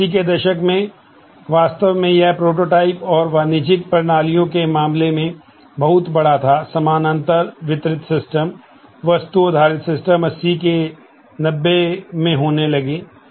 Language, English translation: Hindi, And in 80’s, really it proliferated large in terms of prototypes and commercial systems, parallel distributed systems, object based systems started happening in 80’s 90’s